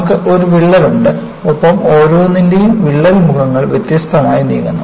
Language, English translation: Malayalam, You have a crack and the crack faces are moving different in each of this